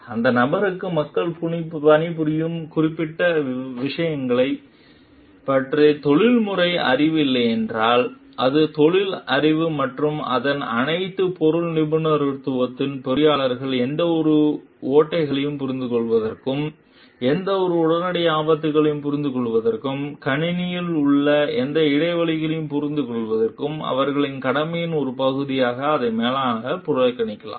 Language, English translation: Tamil, If that person does not have the professional knowledge of the particular thing that people are working on so it may be so that the like profession knowledge and all its subject matter expertise that the engineer have is make them more proficient for understanding any loopholes, understanding any imminent dangers, any gaps in the system and like as a part of their duty may be report it to the manager